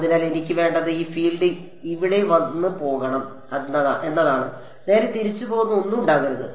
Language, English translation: Malayalam, So, what I want is that this field should come over here and just go off; there should be nothing that is going back right